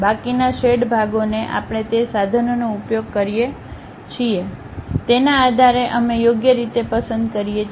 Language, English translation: Gujarati, Remaining shaded portions we pick appropriately based on that we use those tools